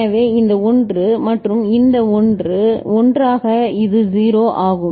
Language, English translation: Tamil, So, this 1 and this 1 together it is 0